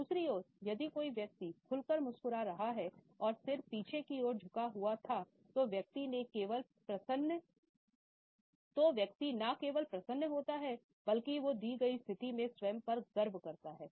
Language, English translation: Hindi, On the other hand, if a person is smiling openly and broadly and the head was backward tilt then the person is not only pleased, but the person is also proud of oneself in the given situation